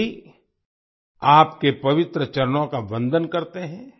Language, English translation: Hindi, All worship your holy feet